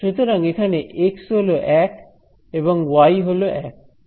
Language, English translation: Bengali, So, x equal to 1, y is equal to 1